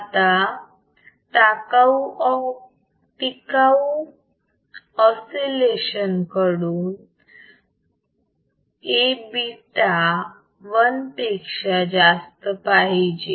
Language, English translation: Marathi, Now from sustained oscillations A beta should be greater than 1